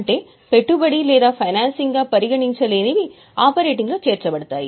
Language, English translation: Telugu, So, whatever cannot be considered as investing or financing will also be included in operating